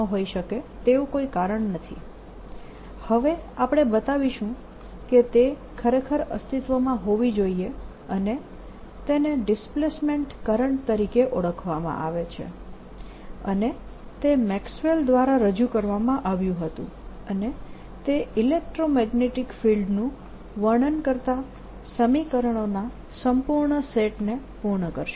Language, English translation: Gujarati, we will now show that it should indeed exist and it is known as displacement current and it was introduced by maxwell, and that will complete the entire set of equations describing electromagnetic field